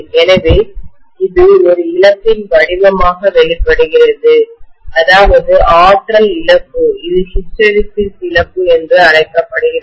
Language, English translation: Tamil, So it is manifested in the form of a loss, energy loss which is known as the hysteresis loss